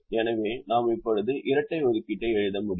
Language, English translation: Tamil, so we can now write the dual